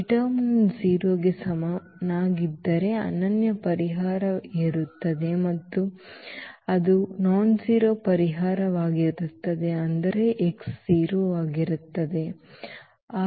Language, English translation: Kannada, If the determinant is not equal to 0 then there will be a unique solution and that will be the trivial solution meaning this x will be 0